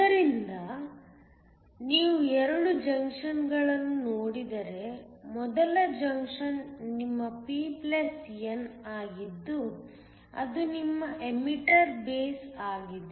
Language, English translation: Kannada, So, If you look at the 2 junctions, the first junction is your p+n which is your emitter base